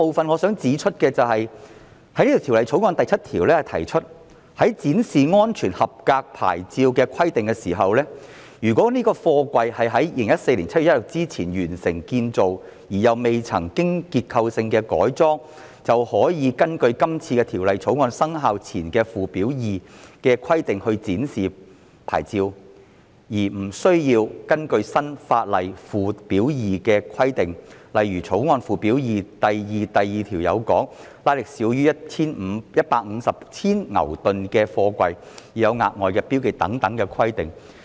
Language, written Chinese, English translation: Cantonese, 我想指出的第二點是，《條例草案》第7條提出，在展示安全合格牌照的規定上，"如該貨櫃於2014年7月1日之前完成建造而又未曾經過結構性的改裝"，便可以根據今次《條例草案》生效前的附表2的規定來展示牌照，而無需根據新法例附表2的規定，例如《條例草案》附表2第 21b 條訂明，"推拉值少於150千牛頓"的貨櫃的牌照須有額外標記等規定。, My second point is related to clause 7 of the Bill . Concerning the requirement on the display of the safety approval plate it prescribes that if the construction of the container was completed before 1 July 2014 and no structural modification has ever been made to the container the plate can be displayed in accordance with the regulations stated in Schedule 2 before this Bill comes into effect and does not need to follow the requirement in Schedule 2 of the new law such as the requirement stipulated in section 21b of Schedule 2 in the Bill that a container with a racking value of less than 150 kN should have additional markings on its plate